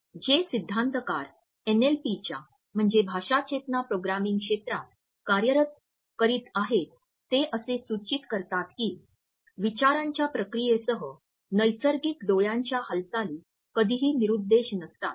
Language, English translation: Marathi, Theorist were working in the area of NLP suggest that the natural eye movements that accompany thought processes are never random